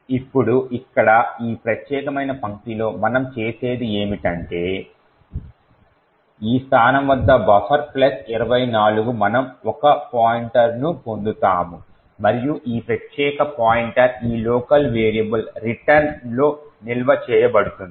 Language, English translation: Telugu, Now, what we do in this particular line over here is that at this location buffer plus 24 we obtain a pointer and this particular pointer is stored in this local variable return